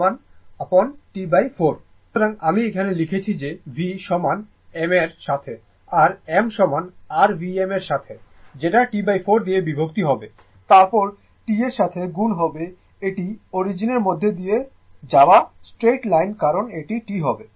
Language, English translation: Bengali, So, here I am some writing that v is equal to right m is equal to your V m divided by T by 4 right into the T this is the straight line passing through the origin because this time you say T right